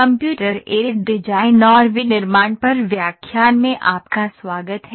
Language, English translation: Hindi, Welcome back to the lecture on Computer Aided Design and manufacturing